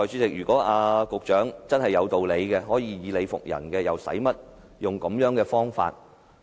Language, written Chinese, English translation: Cantonese, 如果局長真的有道理，可以理服人，又何需使用這種方法？, If the Secretary does have reason on his side and is able to make a convincing case why need he use such methods?